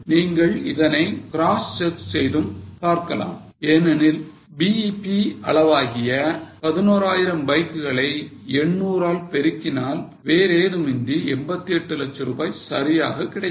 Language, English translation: Tamil, You can cross check it also because 11,000 bikes is a BEP quantity multiplied by 800 that is nothing but rupees, 88 lakhs